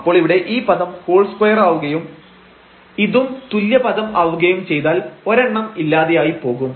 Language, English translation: Malayalam, And, then this term here becomes this whole square and now this is the same term so, one will get cancelled